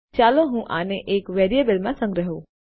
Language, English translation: Gujarati, Let me just save this to a variable